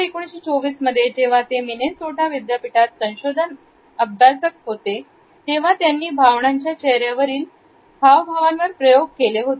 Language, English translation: Marathi, It was in 1924, when he was a research scholar in the University of Minnesota and he was experimenting on the facial expressions of emotions